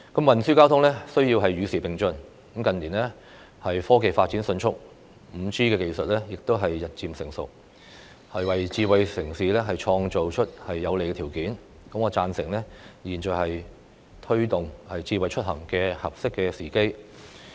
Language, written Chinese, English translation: Cantonese, 運輸交通必須與時並進，近年科技發展迅速 ，5G 技術亦日漸成熟，為"智慧城市"創造有利的條件，我贊成當下是推動"智慧出行"的合適時機。, Transportation must keep abreast of the times . The rapid advance in technology and the maturing of the fifth generation mobile communications 5G technology in recent years have provided favourable conditions for smart city development . I agree that it is the right time to promote smart mobility now